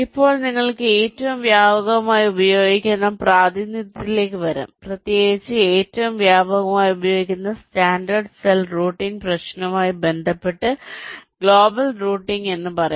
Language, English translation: Malayalam, fine, now let us come to the representation which is most widely used, for you can say global routing, particularly in connection with the standard cell routing problem, which is most widely used